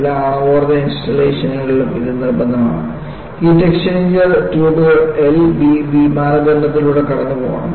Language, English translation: Malayalam, In all nuclear power installations, it is mandatory; the heat exchanger tubes have to go through L V B criteria